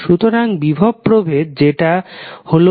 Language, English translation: Bengali, So, potential difference, that is, voltage is given as v ab